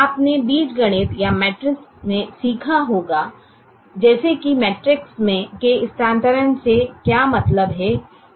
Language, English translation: Hindi, you would have learnt in algebra are matrices as to what this meant by the transpose of a matrix